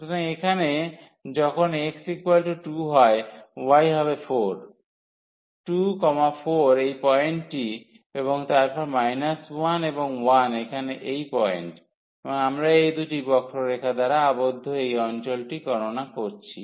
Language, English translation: Bengali, So, 2 comma 4 is this point and then minus 1 and 1 is this point here and we are computing this area bounded by these two curves